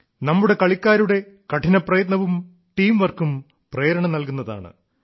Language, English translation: Malayalam, The hard work and teamwork of our players is inspirational